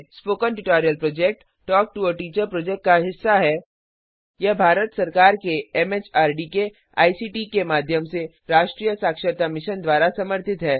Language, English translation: Hindi, Spoken Tutorial Project is a part of the Talk to a Teacher project and it is supported by the National Mission on Education through ICT, MHRD, Government of India